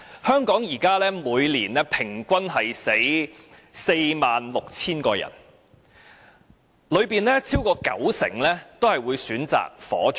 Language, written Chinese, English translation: Cantonese, 香港現時每年平均有 46,000 人死亡，當中超過九成均會選擇火葬。, At present the annual average number of deaths in Hong Kong is 46 000 and 90 % of the body will be cremated